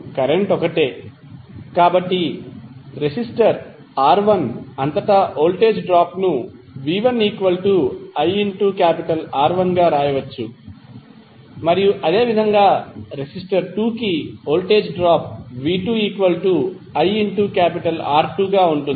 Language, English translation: Telugu, Now the current is same, so drop, voltage drop across the resistor R¬1¬ can be written as v¬1¬ is equal to iR1¬ and similarly voltage drop against resistor, in resistor 2 would be iR¬2¬